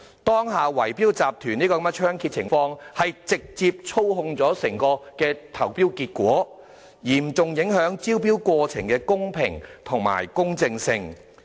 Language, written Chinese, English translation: Cantonese, 當下圍標集團猖獗，直接操縱整個投標結果，嚴重影響招標過程的公平及公正性。, Bid - rigging syndicates are running rampant now . They can manipulate the results of tendering exercises directly seriously undermining the fairness and impartiality of tendering procedures